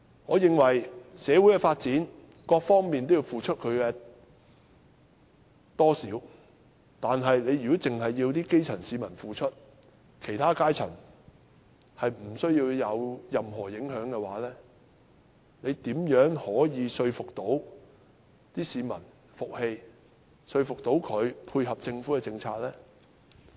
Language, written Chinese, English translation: Cantonese, 我認為為了社會的發展，各方面或多或少也要付出，但如果只要求基層市民付出，其他階層卻不受任何影響的話，如何可令市民服氣，說服他們配合政府政策？, In my view every party should make contribution big or small to social development . However if only the grass roots are required to make such contribution while the other strata are not affected in any way how will the public be convinced to tie in with the Governments policies?